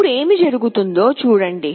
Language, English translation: Telugu, Now see what happens